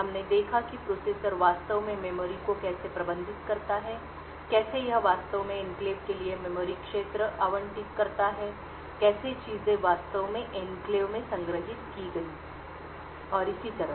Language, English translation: Hindi, We looked at how the processor actually managed the memory, how it actually allocated memory regions for enclaves, how things were actually stored in the enclave and so on